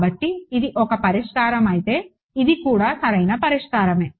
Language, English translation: Telugu, So, if this is a solution, this is also a solution right